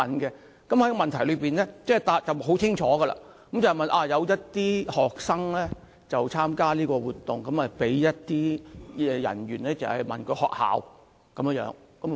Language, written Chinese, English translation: Cantonese, 主體質詢非常清晰。有學生參加有關活動時，被查問他們就讀學校的名稱。, The main question is clear enough some students who participated in an event were asked to give the names of the schools they were attending